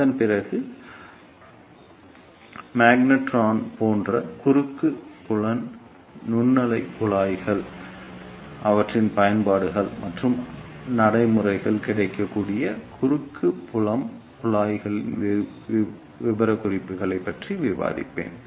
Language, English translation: Tamil, After that, I will discuss cross field microwave tubes such as magnetrons, their working their applications and specifications of practically available cross field tubes